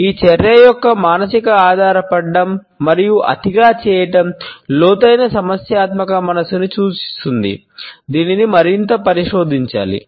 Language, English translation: Telugu, A psychological dependence and overdoing of this action suggest a deep problematic state of mind which should be further investigated into